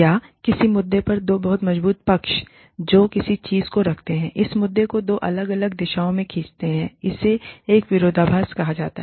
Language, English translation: Hindi, Or, two very strong sides to an issue, that pull something, pull that issue, in two different directions, for it to be called a paradox